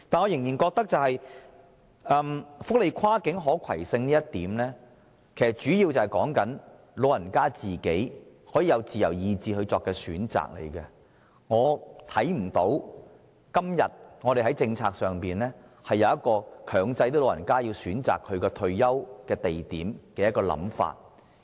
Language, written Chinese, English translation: Cantonese, 然而，我始終認為，福利安排的跨境可攜性，主要是指長者可按其自由意志作出選擇，所以我看不到今天在政策上，有任何強制長者選擇退休地點的空間。, However it is always my opinion that cross - boundary portability of welfare arrangements refers mainly to the rights of elderly persons to make choices of their own free will and I therefore fail to see any room in our policy today for mandatorily requiring elderly persons to choose the place where they will spend their retirement life